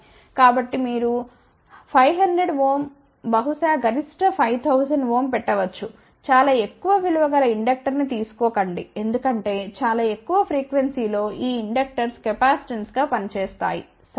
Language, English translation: Telugu, So, you can take as 500 ohm maybe maximum 5000 ohm, but not more than, that do not take a very large value of inductor because these inductors at very high frequency may act as a capacitance ok